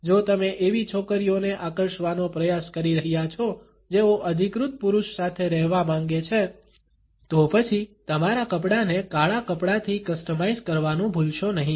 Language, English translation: Gujarati, If you are trying to attract girls who want to be with an authoritative man, then do not forget to customize your wardrobe with black clothes